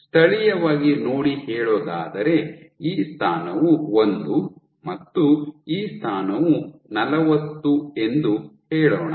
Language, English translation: Kannada, So, if locally let us say, this position is 1 and this position is 40